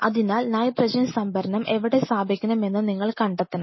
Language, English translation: Malayalam, So, you have to figure out where you want to put the nitrogen storage